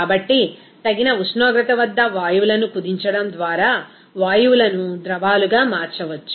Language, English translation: Telugu, So, gases can be converted to liquids by compressing the gases at a suitable temperature